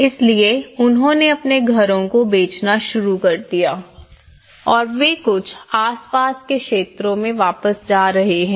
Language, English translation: Hindi, So, they started selling their houses and they are going back to some nearby areas